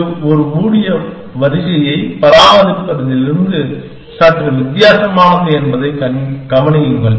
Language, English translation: Tamil, Notice that, this is slightly different from maintaining a closed queue